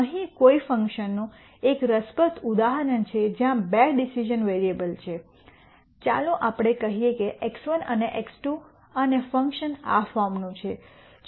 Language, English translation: Gujarati, Here is an interesting example of a function where there are two decision variables let us say x 1 and x 2 and the function is of this form